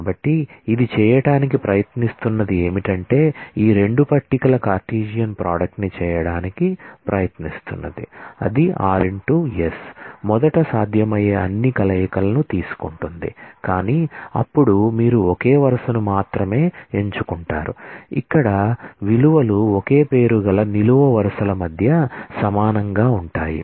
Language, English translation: Telugu, So, it is what it tries to do is it tries to make a Cartesian product of this 2 tables first take all possible combinations, but then you select only those rows where the values are identical between columns having the same name